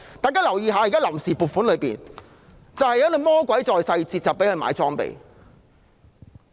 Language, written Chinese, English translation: Cantonese, 大家要留意，現時的臨時撥款有"魔鬼在細節"，供他們購置裝備。, Members should note that now the devil is in the details of the funds on account which allow them to procure equipment